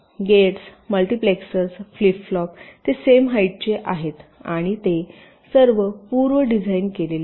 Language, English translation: Marathi, the gates, the multiplexers, the flip plops, they are of same heights and they are all pre designed